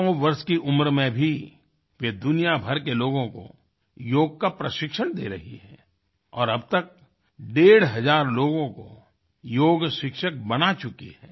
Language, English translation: Hindi, Even at the age of 100, she is training yoga to people from all over the world and till now has trained 1500as yoga teachers